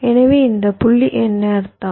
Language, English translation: Tamil, so what does this point mean